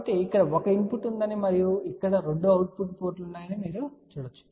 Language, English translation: Telugu, So, you can see that there is a 1 input here and there are 2 output ports over here